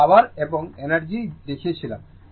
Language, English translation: Bengali, I showed you and power and energy right